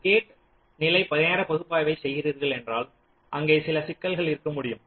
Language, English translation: Tamil, so if you are doing a gate level timing analysis, there can be some problems